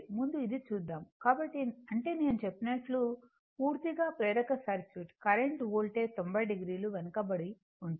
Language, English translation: Telugu, So, that means, in a pure that what I told purely inductive circuit, current lags behind the voltage by 90 degree